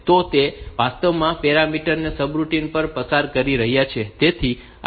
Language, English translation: Gujarati, So, those are actually passing the parameters to the subroutine